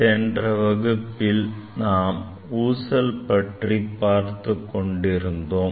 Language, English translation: Tamil, In last class I was discussing about the pendulum